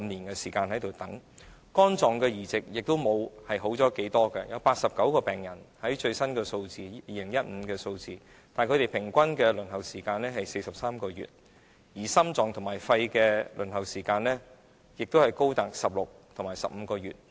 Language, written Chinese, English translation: Cantonese, 而在肝臟移植方面，情況亦並不理想，根據2015年的最新數字顯示，有89名病人，平均的輪候時間是43個月；而心臟和肺移植的輪候時間亦高達16個月和15個月。, In terms of liver transplantation the situation is also undesirable . According to the figures in 2015 there were 89 patients while the average waiting time was 43 months . The waiting time for heart and lung transplantation was 16 months and 15 months respectively